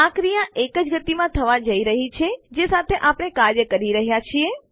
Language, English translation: Gujarati, The action is going to be in the same pace that were working with